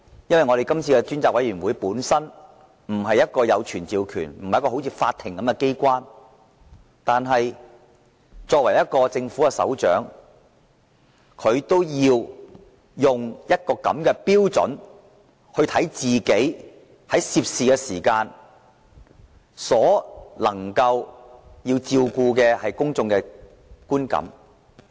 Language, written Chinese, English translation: Cantonese, 雖然專責委員會本身不是一個如法庭般擁有傳召權的機關，但梁振英作為政府首長，理應以法庭的標準來看待自己今次所涉及的事件，從而照顧公眾的觀感。, Although the Select Committee unlike the Court has no power to summon witnesses LEUNG Chun - ying as the head of the Government should having regard to public perception use the Courts standard as the basis for dealing with this incident in which he is involved